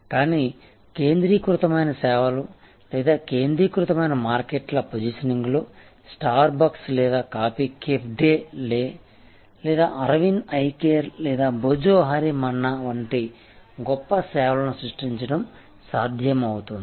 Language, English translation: Telugu, But, in a service focused or market focused positioning, it is possible to create great service like Starbucks or coffee cafe day or Arvind Eye Care or Bhojohori Manna and so on